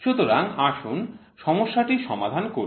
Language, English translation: Bengali, So, now, next we will try to solve the problem